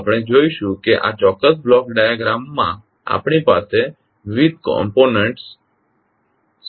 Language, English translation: Gujarati, So we will see what are the various components we have in this particular block diagram